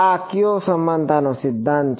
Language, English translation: Gujarati, Which equivalence principle is this